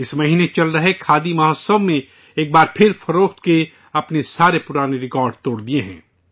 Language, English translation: Urdu, The ongoing Khadi Mahotsav this month has broken all its previous sales records